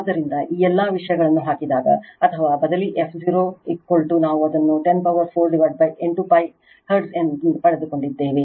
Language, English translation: Kannada, So, your what you call you substitute or you substitute your all this thing f 0 is equal to we have got it 10 to the power 4 upon 8 pi hertz